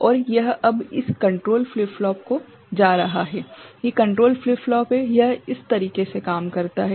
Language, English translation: Hindi, And this is now going to this control flip flops ok, these control flip flops this is it works in this manner